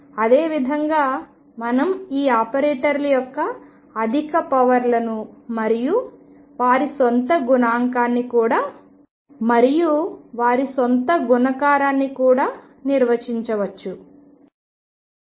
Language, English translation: Telugu, And similarly we can define higher powers of these operators and also their own multiplication